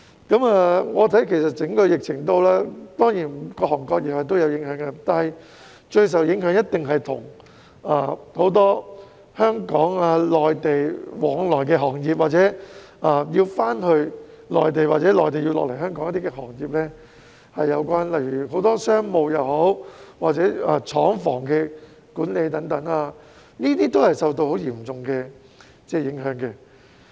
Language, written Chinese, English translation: Cantonese, 於我看來，整個疫情當然對各行各業都有影響，但是，最受影響的一定是涉及很多香港、內地往來的行業，即有關業務要回內地或由內地來港才能處理的行業，例如商務、廠房管理等，均受到很嚴重的影響。, In my opinion the epidemic certainly has an impact on various industries but the most affected ones are definitely those involving a lot of interactions between Hong Kong and the Mainland ie . industries of which business can only be dealt with by travelling to the Mainland or by coming to Hong Kong from the Mainland such as commercial affairs and factory management . Those are severely affected